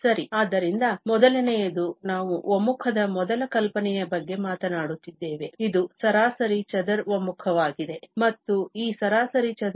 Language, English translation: Kannada, Well, so the first one, we are talking about the first notion of the convergence, this is mean square convergence, and this mean square convergence is in the sense of the integral